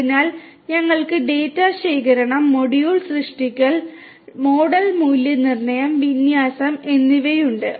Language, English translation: Malayalam, So, we have the data collection, model creation, model validation and deployment